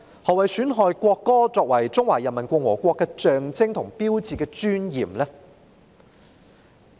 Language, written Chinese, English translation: Cantonese, 何謂"損害國歌作為中華人民共和國的象徵和標誌的尊嚴"呢？, What does undermine the dignity of the national anthem as a symbol and sign of the Peoples Republic of China mean?